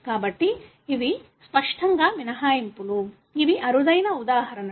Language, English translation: Telugu, So, these are obviously exceptions; these are rare examples